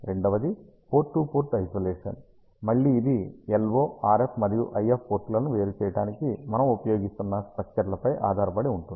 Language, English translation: Telugu, Second, is a port to port isolation, again it depends on the type of structures that we are using to separate the LO, RF and IF ports